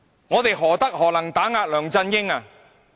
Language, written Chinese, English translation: Cantonese, 我們何德何能可以打壓梁振英？, How are we capable of oppressing LEUNG Chun - ying?